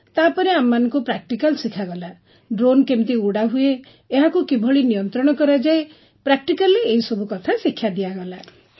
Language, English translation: Odia, Then practical was conducted, that is, how to fly the drone, how to handle the controls, everything was taught in practical mode